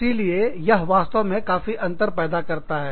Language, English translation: Hindi, So, that really makes a difference